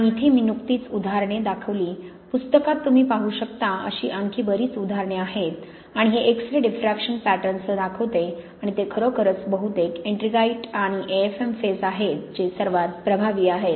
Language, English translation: Marathi, And here I just showed examples, there are many more you can look at in the book and this shows with the X ray diffraction pattern and it is really mostly the ettringite and the AFm phases that are most effective